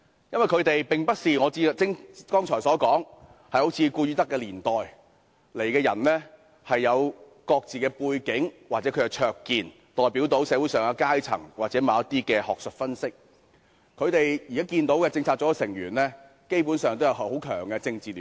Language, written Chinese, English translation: Cantonese, 因為他們並非如我剛才所說的"顧汝德時期"的成員般，有各自的背景或灼見，代表社會各階層或精於某些學術分析；現時的中策組成員基本上均有很強的政治聯繫。, Because they are not like those members in the Goodstadt period mentioned by me just now who had their respective background or insights representing various classes in society or well versed in certain academic analyses . Basically the present members of CPU have very strong political affiliations